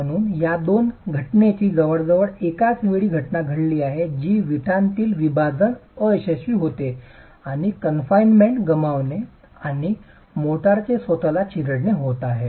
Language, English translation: Marathi, So there is almost a simultaneous occurrence of these two phenomena which is the splitting failure in the brick and the loss of confinement and crushing failure of the motor itself